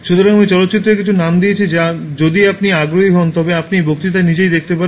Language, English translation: Bengali, So, I have given some names of movies which if you are interested you can watch in the lecture itself